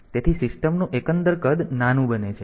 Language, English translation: Gujarati, So, overall size of the system becomes smaller